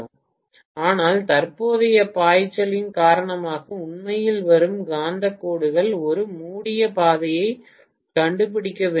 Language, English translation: Tamil, But the magnetic lines that are actually coming up because of the current flowing have to find a closed path